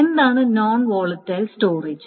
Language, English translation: Malayalam, So, what is a non volatile storage